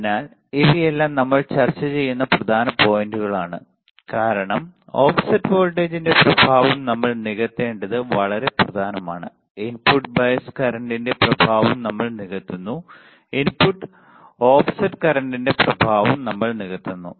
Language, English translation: Malayalam, So, these are all the important points that we are discussing because it is very important that we compensate the effect of offset voltage, we compensate the effect of input bias current, we compensate the effect of input offset current